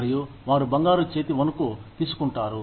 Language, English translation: Telugu, And, they take the, golden hand shake